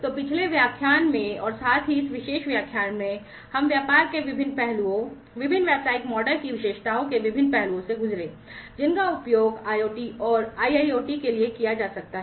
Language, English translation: Hindi, So, with this in the previous lecture as well as the as well as in this particular lecture, we have gone through the different aspects of business, the different aspects of the features of the different business models, that can be used for IoT and IIoT respectively